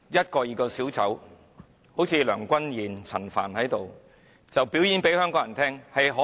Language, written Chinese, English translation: Cantonese, 各名小丑，例如梁君彥和陳帆，向香港人表演他們能多卑劣。, Various clowns like Andrew LEUNG and Frank CHAN have shown Hongkongers how despicable they can be